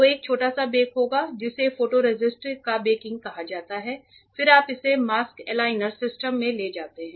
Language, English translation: Hindi, So, the there will a small bake it is called baking of the photoresist then you take that into the mask aligner system